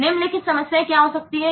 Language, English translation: Hindi, What could the following problems